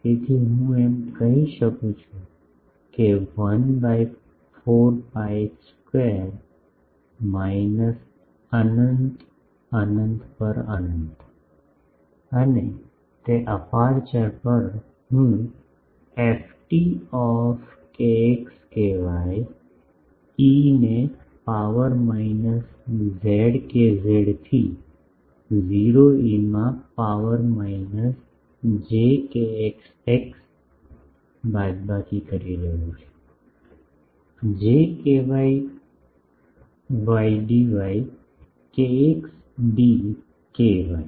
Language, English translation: Gujarati, So, I can say that 1 by 4 pi square minus infinity to infinity on, and that a on the aperture, I am calling ft kx ky e to the power minus j kz into 0 e to the power minus j kx x minus j ky y d kx d ky